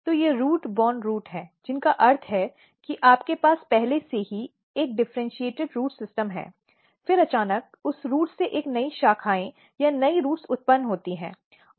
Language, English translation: Hindi, So, they are root borne root which means that you have already a differentiated root system, then suddenly a new branches or new roots are originated from that root